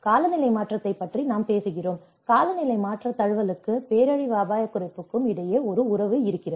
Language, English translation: Tamil, We talk about the climate change, is there a relationship between climate change adaptation and the disaster risk reduction